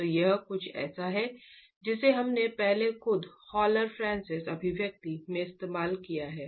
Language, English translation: Hindi, So this is something we have used earlier in the HoloFrances expressions themselves